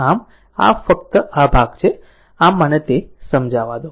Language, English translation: Gujarati, So, only this part is there so let me clear it